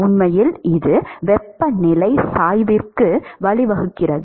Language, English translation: Tamil, In fact, that is leading to the temperature gradient